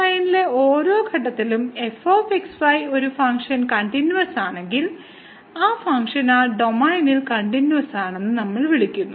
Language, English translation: Malayalam, And if a function is continuous at every point in the domain D, then we call that function is continuous in that domain D